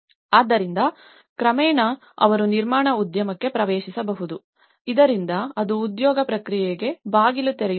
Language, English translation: Kannada, So that, they can gradually get on into the construction industry so that it could also open a gateway for the employment process